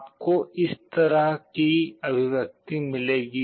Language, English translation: Hindi, You will be getting an expression like this